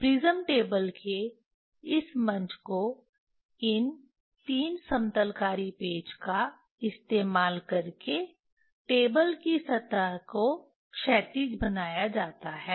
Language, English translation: Hindi, Using these 3 leveling screw this platform of prism table the surface of the table is made horizontal